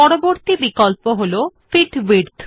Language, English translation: Bengali, Next option is Fit to Width